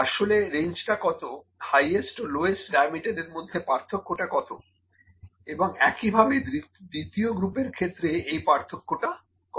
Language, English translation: Bengali, Actually what is the range, which is the difference between the highest diameter and the lowest diameter and in the second group, what is the difference